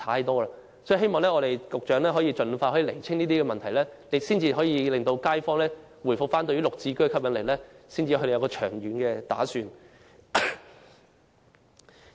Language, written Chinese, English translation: Cantonese, 我希望局長可以盡快澄清這些問題，因為街坊必須認為"綠置居"有吸引力，才會作出長遠打算。, I hope the Secretary can clarify these queries expeditiously because the kaifongs must find GSH attractive before they will make long - term planning